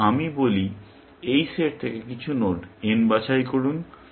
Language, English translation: Bengali, Then, I say, pick some node n from this set